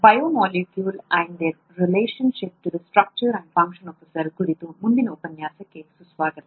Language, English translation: Kannada, Welcome to the next lecture on “Biomolecules and the relationship to the structure and function of a cell